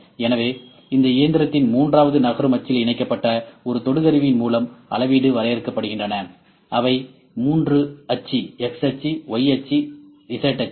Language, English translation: Tamil, So, measurements are defined by a probe attached to the third moving axis of this machine a three axis, x axis, y axis and z axis